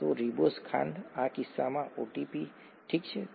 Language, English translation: Gujarati, So, a ribose sugar, in this case ATP, okay